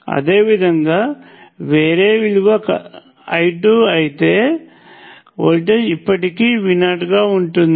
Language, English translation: Telugu, Similarly, if the current were a different value I 2, voltage would still be V naught